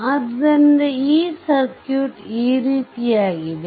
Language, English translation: Kannada, So, this circuit is circuit is like this ah